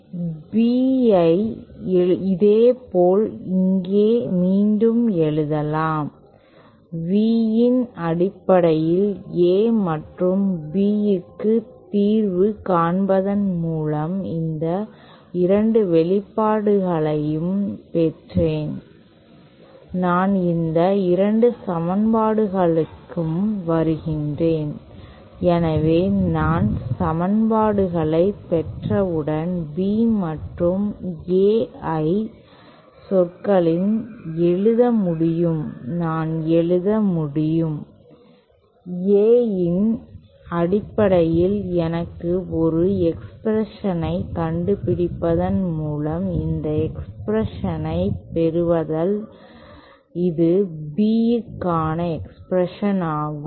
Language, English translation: Tamil, And B similarly can be written as here once again I got these 2 expressions by solving for A and B in terms of V and I comes these 2 equations so once I get equations I can I can write in terms B and A I can I can write it the expression for B as I am getting this expression by finding an expression for I in terms of A